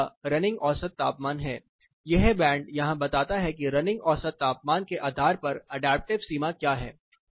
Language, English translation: Hindi, The red one is the running mean temperature this band here tells you what is the adaptive boundary based on the running mean temperatures